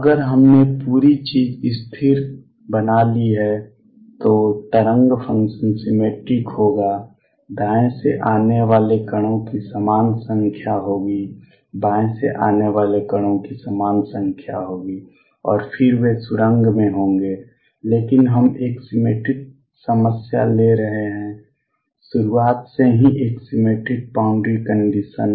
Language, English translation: Hindi, If we made the whole thing stationery then the wave function will be symmetric there will be equal number of particles coming to from the right, equal number particles coming from the left and then they will be tunneling through, but we are taking a symmetric problem a symmetric boundary condition right from the beginning